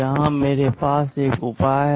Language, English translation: Hindi, Here I have a solution